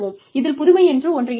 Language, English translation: Tamil, So, no innovation takes place